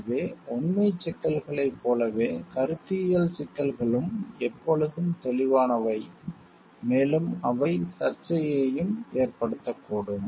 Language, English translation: Tamil, So, like factual issues conceptual issues are always clear cut and may resulting controversy as well